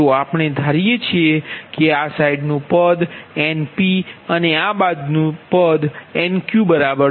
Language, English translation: Gujarati, right, so we assume this side term is nt, this side nq